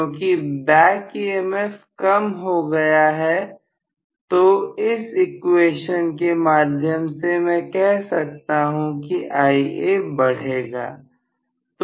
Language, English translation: Hindi, Because back EMF comes down from this equation I can say Ia will increase